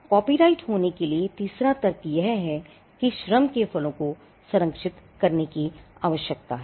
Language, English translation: Hindi, The third rationale for having copyrights is that the fruits of labour need to be protected